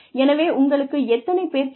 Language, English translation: Tamil, So, how many people do you need